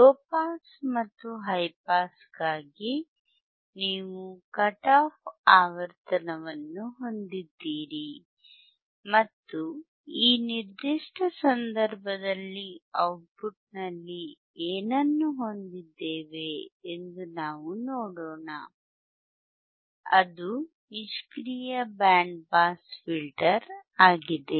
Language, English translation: Kannada, Now yYou have the cut off frequency for low pass you have cut off frequency for and high pass and let us see what we see at the output in this particular case, which is the passive band pass filter